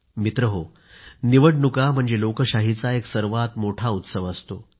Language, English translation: Marathi, Friends, elections are the biggest celebration of democracy